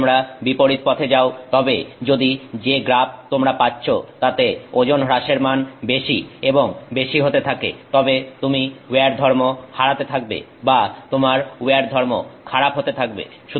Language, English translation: Bengali, If you're going the opposite way then that it means if the graph that you're getting goes to higher and higher values of weight loss then you are losing where property or your where property is becoming worse